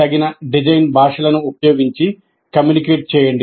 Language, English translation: Telugu, Communicate using the appropriate design languages